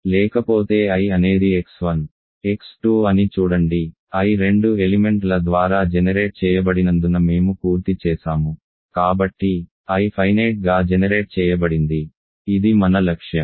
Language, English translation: Telugu, Otherwise see if I is x 1, x 2, we are done because I is generated by two elements so, I is finitely generated which is our goal